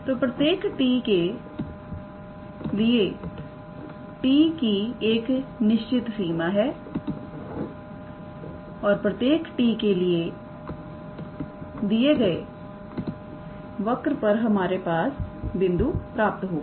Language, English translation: Hindi, So, for every t; so, t has a range and for every t will obtain a point on that given curve